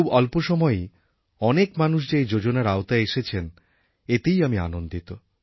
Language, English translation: Bengali, I am happy that in a very short span of time all these schemes have been accepted in large numbers